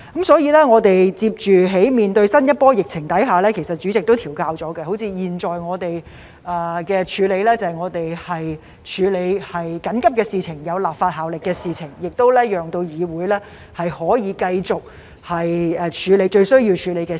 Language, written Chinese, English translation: Cantonese, 所以，在面對新一波疫情時，主席已作出調整，例如現在我們的做法是處理緊急、具立法效力的事情，讓議會可以繼續處理最需要處理的事情。, Therefore in the face of the new wave of the epidemic the President has already made adjustments . For example our current approach is to deal with urgent items with legislative effect so that the Council can continue to deal with the most important matters